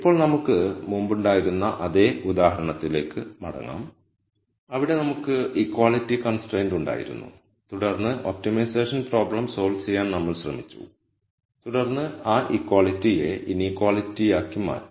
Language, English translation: Malayalam, Now, let us go back to the same example that we had before, where we had the equality constraint and then we tried to solve the optimization problem and then just make that equality into an inequality